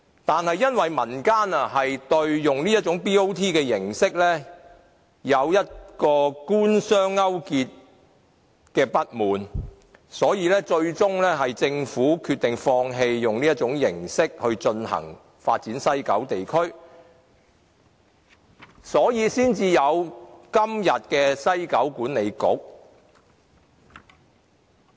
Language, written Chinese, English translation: Cantonese, 但是，因為民間不滿這種 BOT 形式存在官商勾結，所以政府最終決定放棄以這種形式發展西九地區，因而產生今天的西九文化區管理局。, However due to public grievances over the possibility of Government - business sector collusion in the BOT arrangement the Government ultimately aborted using this arrangement to develop WKCD which gave rise to the establishment of present WKCD Authority